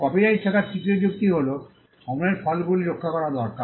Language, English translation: Bengali, The third rationale for having copyrights is that the fruits of labour need to be protected